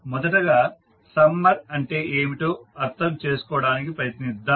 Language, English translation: Telugu, First let us try to understand what is summer